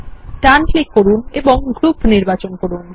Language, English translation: Bengali, Right click and select Group